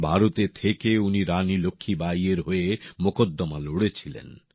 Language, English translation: Bengali, Staying in India, he fought Rani Laxmibai's case